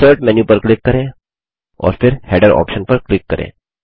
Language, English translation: Hindi, Now click on the Insert menu and then click on the Header option